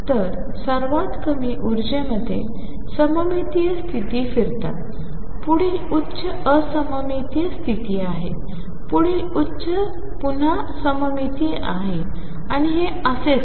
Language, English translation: Marathi, So, the states flip between symmetric in the lowest energy, next higher is anti symmetric, next higher is again symmetric and so on